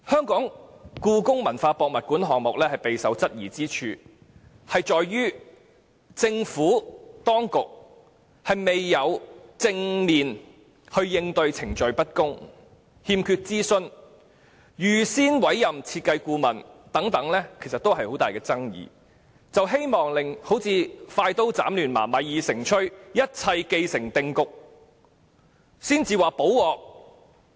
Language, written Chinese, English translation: Cantonese, 故宮館的興建計劃備受質疑，源於政府當局未有正面應對程序不公、欠缺諮詢、預先委任設計顧問等各種爭議，反而是希望快刀斬亂麻，待米已成炊，一切既成定局後才"補鑊"。, The development plan of HKPM is subject to queries because the Administration has not faced squarely various controversies including procedural injustice lack of consultation and pre - appointment of the design consultant . Instead it has cut the Gordian knot and only made amends when the die was cast